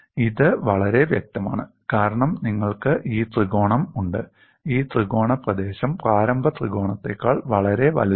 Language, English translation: Malayalam, It is very obvious, because you have this triangle; this triangle area is much larger than the initial triangle